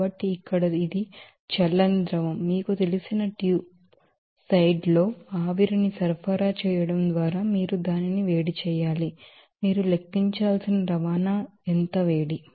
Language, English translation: Telugu, So, here this is cold liquid you have to heat it up by supplying that steam in the you know tube side that case, how much heat is to be transport that you have to calculate